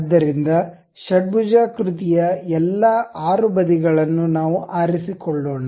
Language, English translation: Kannada, So, let us pick this one, this one, all the 6 sides of hexagon